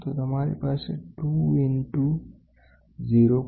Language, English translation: Gujarati, So, you have 2 into 0